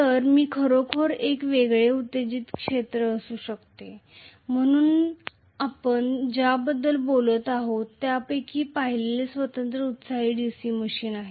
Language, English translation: Marathi, So, I can have really a separately excited field, so the first one we are talking about is separately excited DC machine